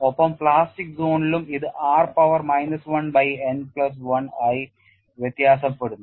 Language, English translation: Malayalam, So, in the elastic region singularity is 1 by root r and in the plastic zone it varies as r power minus 1 by n plus 1